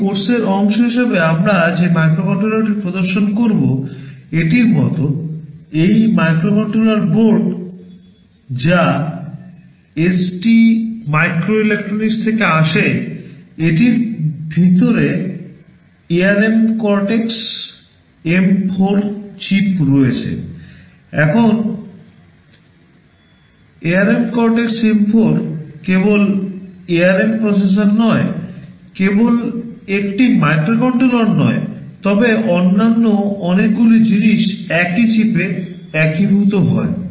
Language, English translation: Bengali, Like one of the microcontroller that we shall be demonstrating as part of this course, this microcontroller board which is from ST microelectronics, it has something called ARM Cortex M4 chip inside, now ARM Cortex M4 is not only the ARM processor, not only a microcontroller, but lot of other things all integrated in the same chip